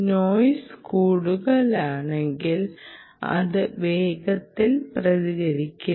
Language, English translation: Malayalam, high noise, ok, not quick to respond